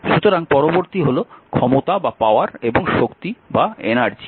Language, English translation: Bengali, So, next is power and energy